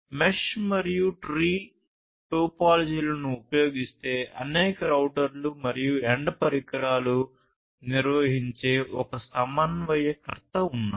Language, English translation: Telugu, If the mesh and the tree topologies are used there is one coordinator that maintains several routers and end devices